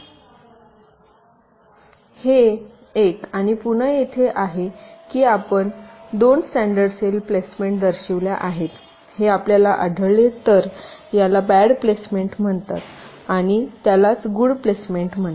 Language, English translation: Marathi, if you can see that i have shown two standard cell placements, this is so called bad placement and this is so called good placements